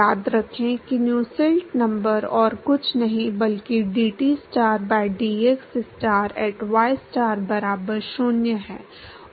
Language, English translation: Hindi, Remember that Nusselt number is nothing but dTstar by dxstar at ystar equal to 0